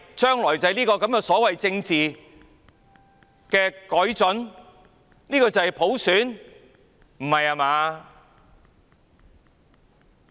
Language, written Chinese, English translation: Cantonese, 這是香港將來所謂的政治改進，這是普選嗎？, Was that the so - called political improvement for Hong Kong in the future was that universal suffrage?